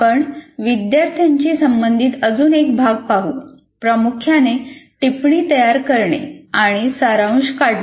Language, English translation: Marathi, Next we come to another issue where the student is involved, mainly note making and summarization